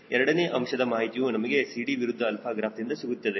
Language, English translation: Kannada, second information we will get from cd versus alpha graph